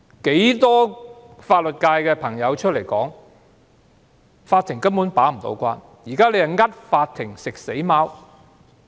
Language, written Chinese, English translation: Cantonese, 很多法律界人士公開表示，法庭根本無法把關，現在是迫法庭"食死貓"。, Many legal professionals have publicly stated that the Court will not be able to do so . The Court is made a scapegoat